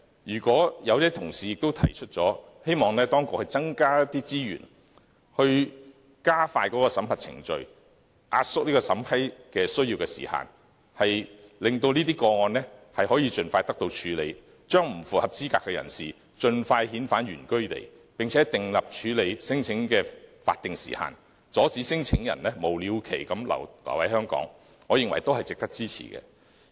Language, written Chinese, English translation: Cantonese, 有些同事提出，希望當局增加資源加快審核程序，壓縮審批時限，令這些個案可以盡快得到處理，將不符合資格的人士盡快遣返原居地，並且訂立處理聲請的法定時限，阻止聲請申請人無了期留在香港，我認為都是值得支持的。, Some colleagues have suggested that more resources should be deployed by the authorities on this matter so as to speed up the screening procedure and shorten the screening time limit in a hope to get the claims expeditiously processed and to quickly repatriate the claimants who fail to meet the requirements to their place of origins . They also propose that a statutory time limit be laid down on handling non - refoulement claims so as to prevent claimants from indefinitely staying in Hong Kong . I think all these proposals are worthy of our support